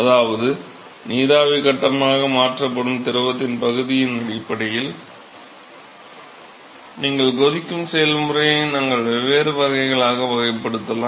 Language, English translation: Tamil, That is, based on the fraction of the fluid which is converted into vapor phase you can classify the boiling process into four different types